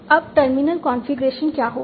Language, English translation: Hindi, Now what will be the terminal configuration